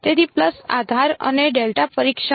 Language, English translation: Gujarati, So, pulse basis and delta testing